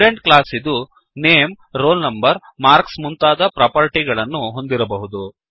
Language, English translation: Kannada, A Student class can contain properties like Name, Roll Number, Marks etc